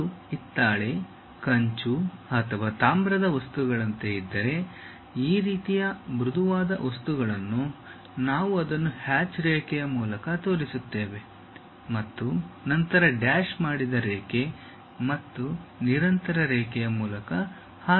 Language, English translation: Kannada, If it is something like brass, bronze or copper material, this kind of soft materials; we show it by a hatched line followed by a dashed line, again followed by a continuous line